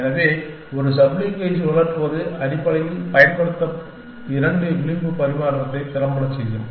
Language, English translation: Tamil, So, rotating a sub slink will effectively do a two edge exchange for use essentially